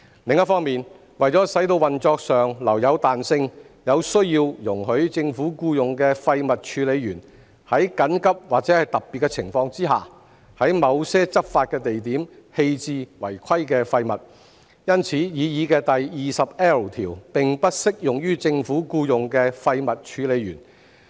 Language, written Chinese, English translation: Cantonese, 另一方面，為使運作上留有彈性，有需要容許政府僱用的廢物處理員在緊急或特別情況下，在某些執法地點棄置違規廢物，因此擬議第 20L 條並不適用於政府僱用的廢物處理員。, On the other hand to preserve operational flexibility it is necessary to permit disposal of non - compliant waste at certain enforcement locations by government - employed waste handlers under urgent or special circumstances and so the proposed section 20L is not applicable to government - employed waste handlers